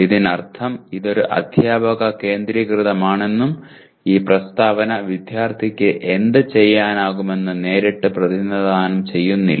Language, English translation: Malayalam, Which means it is a teacher centric and it is not this statement does not directly represent what the student should be able to do